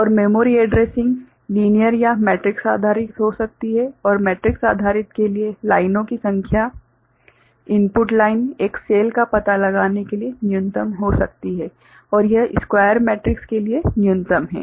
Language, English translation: Hindi, And memory addressing can be linear or matrix based and of course, for matrix based the number of lines input lines to locate a cell can be minimum and it is minimum for square matrix ok